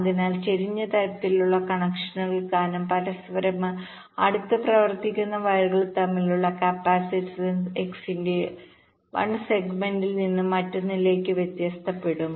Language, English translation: Malayalam, so because of the slanted kind of connection, the capacitance between the wires which are running closer to each other will be varying from one segment of the x to other